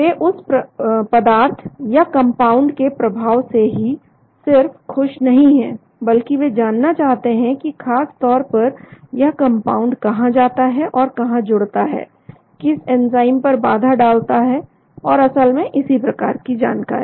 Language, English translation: Hindi, They are not just happy about the efficacy of the compound, but they would like to know exactly where the compound goes and where it binds, which enzymes it inhibits and so on actually